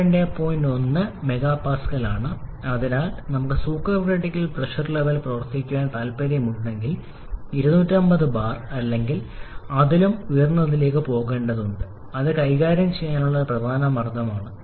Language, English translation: Malayalam, 1 mega Pascal so if we want to operate the supercritical pressure level we have to go to something like 250 bar or even higher which is a significant pressure to deal with